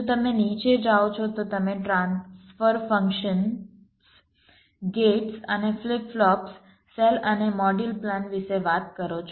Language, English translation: Gujarati, if you go down, you talk about transfer functions, gates and flip flops, cells and module plans